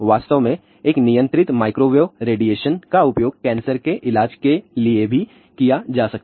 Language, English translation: Hindi, In fact, a controlled microwave radiation can also be used for cancer treatment also